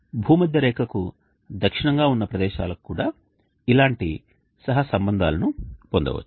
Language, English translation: Telugu, Similar corollaries can be obtained for places located to the south of the equator also